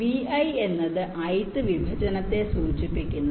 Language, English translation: Malayalam, v i denotes the ith partition